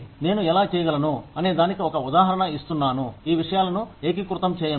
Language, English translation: Telugu, I am just giving an example of how, you can integrate these things